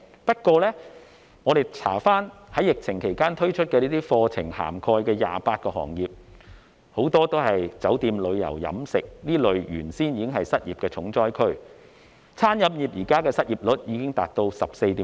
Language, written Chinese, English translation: Cantonese, 不過，我們查閱資料發現，在疫情期間推出的課程涵蓋的28個行業，很多都是酒店、旅遊、飲食等原本已是失業重災區的行業。, However having checked the information available we realize that many of the 28 sectors covered by courses introduced during the pandemic were already hard hit by unemployment such as the hotel tourism and catering sectors